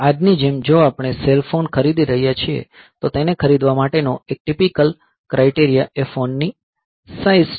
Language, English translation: Gujarati, Like today if we are buying a cell phone, a typical criteria for buying it is the size of the phone, and in that size